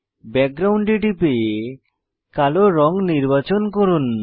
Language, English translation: Bengali, Click on Background drop down to select black color